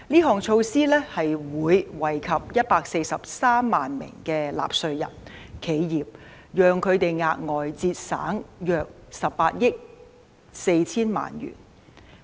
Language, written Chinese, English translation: Cantonese, 這措施會惠及143萬名納稅人和企業，讓他們額外節省約18億 4,000 萬元。, This measure will benefit 1.43 million taxpayers and enterprises and spare them an additional 1.84 billion in tax payment